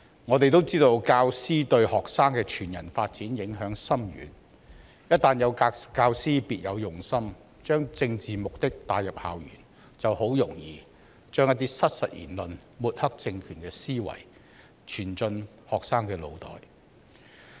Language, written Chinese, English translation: Cantonese, 我們也知道，教師對學生的全人發展影響深遠，一旦有教師別有用心地把政治目的帶入校園，便很容易把一些失實言論及抹黑政權的思維傳進學生的腦袋。, We are also aware that teachers have a profound impact on the whole - person development of students . When teachers having ulterior motives bring their political agenda into school campuses it is easy to instil in students inaccurate claim and the mindset of smearing the regime